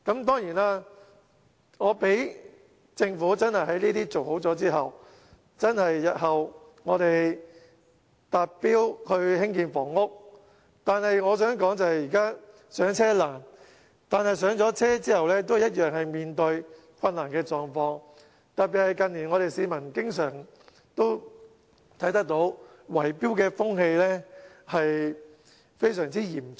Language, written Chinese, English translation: Cantonese, 當然，政府做好這些後，在日後興建房屋達標後，我想說的是，現在"上車"難，但"上車"後同樣面對問題，特別是近年市民經常看到圍標風氣非常嚴重。, Of course after fulfilling these tasks and meeting the target of housing construction in the future the Government will then have to note that the people are still confronted with challenges even if they can overcome all the difficulties to purchase a property . This is particularly true given the numerous cases of bid - rigging in recent years